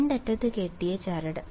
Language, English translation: Malayalam, string tied at two ends